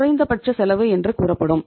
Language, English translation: Tamil, You will say that is the minimum cost